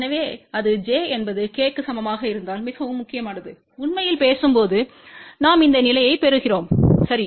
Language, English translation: Tamil, So, that is very important if j is equal to k then actually speaking we are getting this condition, ok